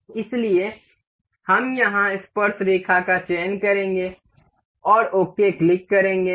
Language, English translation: Hindi, So, we will select tangent over here and click ok